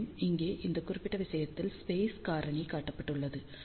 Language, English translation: Tamil, And, for this particular case here, space factor is shown